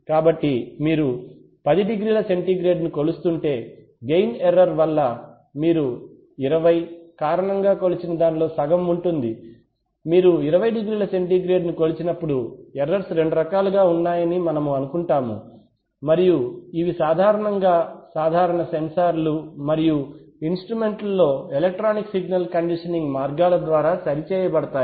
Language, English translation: Telugu, So, if you have, if you are measuring 10 degree centigrade then the error due to gain error is going to be half of what you measure due to 20, when you measure 20 degree centigrade so we assume that the errors are of two kinds and these typically in typical sensors and instruments very often they can be corrected by electronic signal conditioning means